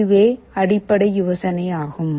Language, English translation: Tamil, This is the basic idea